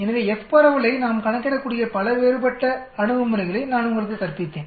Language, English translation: Tamil, So I taught you so many different approaches by which we can calculate the F distribution